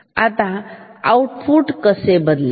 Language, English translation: Marathi, Now, how the output will change